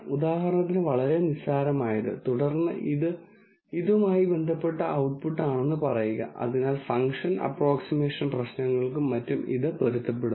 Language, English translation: Malayalam, For example, very trivial, and then say that is the output corresponding to this, so that becomes of adaptation of this for function approximation problems and so on